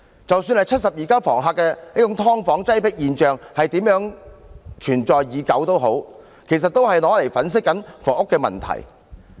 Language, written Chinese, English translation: Cantonese, 即使"七十二家房客"的"劏房"擠迫現象如何存在已久，其實說出來都只是用來粉飾房屋問題。, No matter how long the cramped situation of subdivided units similar to The House of 72 Tenants has existed such a remark is actually only used to whitewash the housing problem